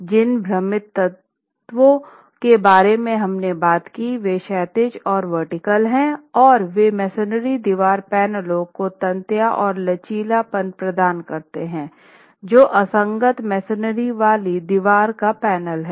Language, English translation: Hindi, The confining elements that we talked about, these are horizontal and vertical ties, they provide tensile strength and ductility to the masonry wall panels which are unreinforced masonry wall panels